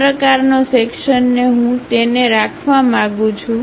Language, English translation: Gujarati, This kind of section I would like to have it